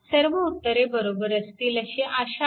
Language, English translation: Marathi, Hope all answers are correct